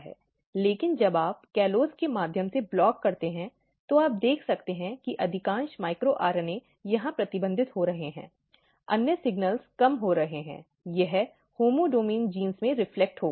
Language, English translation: Hindi, But when you block through the callose, you can see that most of the micro RNAs are getting restricted here, other signals are going down, it will reflect in the in the homeodomain genes